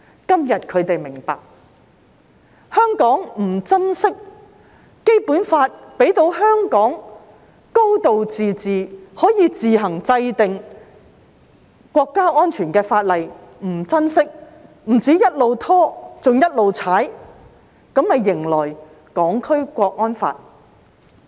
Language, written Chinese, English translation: Cantonese, 今天他們明白，香港不珍惜《基本法》賦予香港"高度自治"，可以自行制定涉及國家安全的法例卻不珍惜，不單一直拖延，更不斷"踩"它，這便迎來《香港國安法》。, Today they understand that Hong Kong people have not cherished the high degree of autonomy granted to Hong Kong under the Basic Law . Hong Kong people could have enacted laws relating to national security on their own but they did not cherish this power . They did not just keep stalling for time but even constantly denigrated it hence ushering in the National Security Law for Hong Kong